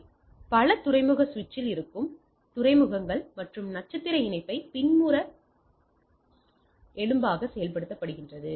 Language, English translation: Tamil, So, these are the ports which are there in the multi port switch and acts as a back bone with a star connection